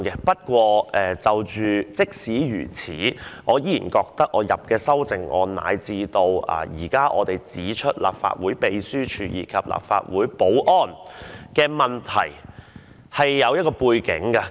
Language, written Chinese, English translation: Cantonese, 不過，儘管如此，我依然覺得就我提出的修正案，乃至我們現在指出立法會秘書處，以及立法會保安的問題而言，是有其背景的。, Nevertheless as far as my amendment the Legislative Council Secretariat as well as the security arrangement of the Legislative Council are concerned I still consider that there is a common background